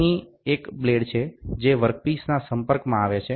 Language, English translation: Gujarati, Here is a blade, which comes in contact with the work piece